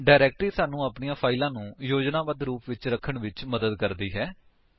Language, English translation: Punjabi, A directory helps us in organizing our files in a systematic manner